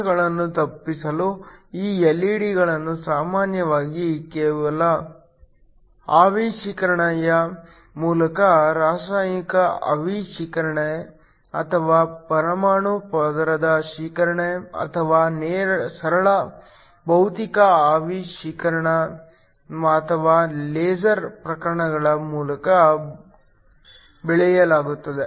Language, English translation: Kannada, In order to avoid defects, these LED's are usually grown by some vapor deposition means like chemical vapor deposition or atomic layer deposition or even or even a simple physical vapor deposition like sputtering or laser processes